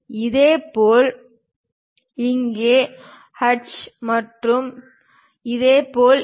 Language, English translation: Tamil, Similarly here hatch and similarly this one